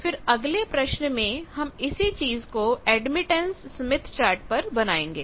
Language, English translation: Hindi, To this the same admittance value, but on admittance smith chart